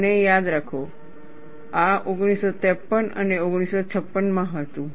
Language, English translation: Gujarati, And mind you, this was in 1953 and 1956